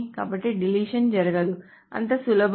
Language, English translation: Telugu, So the deletion doesn't take place